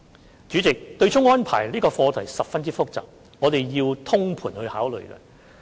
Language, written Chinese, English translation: Cantonese, 代理主席，對沖安排這課題十分複雜，我們必須作通盤考慮。, Deputy President as the offsetting arrangement is a very complex subject we must make a holistic consideration